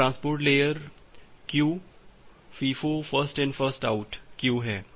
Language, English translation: Hindi, That transport layer queue is FIFO thing First In First Out queue